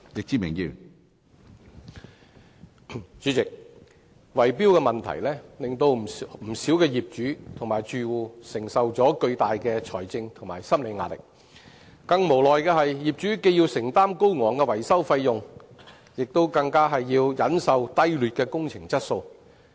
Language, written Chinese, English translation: Cantonese, 主席，圍標問題令不少業主和住戶承受巨大的財政及心理壓力，更無奈的是，業主既要承擔高昂維修費用，更要忍受低劣的工程質素。, President bid - rigging has subjected many property owners and residents to immense financial and psychological pressure . Owners feel even more helpless about having to meet high maintenance fees while suffering the low quality of works